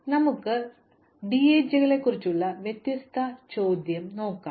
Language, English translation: Malayalam, So, let us look at a different question about DAGs